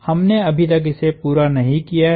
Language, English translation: Hindi, We are not done yet